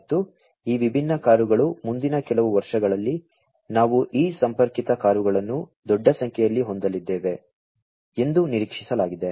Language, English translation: Kannada, And these different cars it is expected that we are going to have these connected cars in huge numbers in the next few years